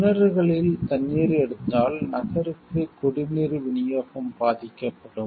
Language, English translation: Tamil, If the city takes water from the wells, the water supply for the city will be compromised